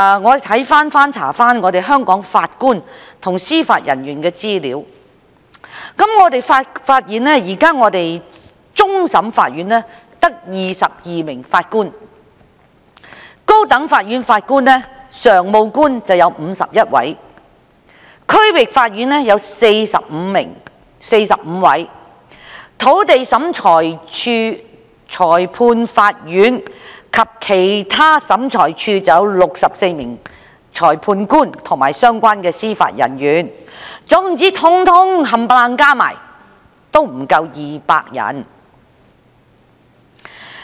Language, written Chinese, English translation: Cantonese, 我翻查香港法官和司法人員的資料，發現現時終審法院只有22位法官；高等法院有51位；區域法院有45位；土地審裁處、裁判法院及其他審裁處有64位裁判官及相關的司法人員，全部加起來不足200人。, I have looked up some information on the Judges and Judicial Officers in Hong Kong . I found that at present there are only 22 Judges of CFA 51 Judges of the High Court and 45 Judges in the District Court DC level; whereas in the Lands Tribunal Magistrates Courts and other Tribunals there are 64 Magistrates and relevant Judicial Officers . These numbers add up to less than 200 people